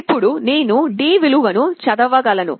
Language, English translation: Telugu, Now I can read the value of D